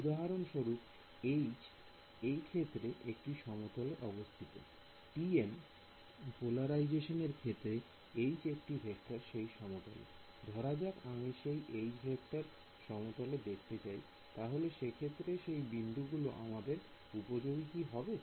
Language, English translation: Bengali, Because for example, in this case H is in plane; in the TM polarization H is a vector in plane, supposing I wanted to represent the H vector in plane, will the nodes we useful for me